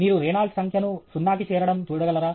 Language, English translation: Telugu, Can you look at Reynold’s number tending to zero